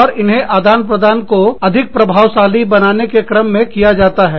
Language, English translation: Hindi, And, they are incurred, in order to make exchanges, more efficient